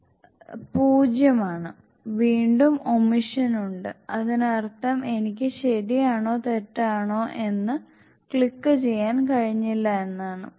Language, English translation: Malayalam, 0 it means, again it is omission, it means I was not able to click either right or wrong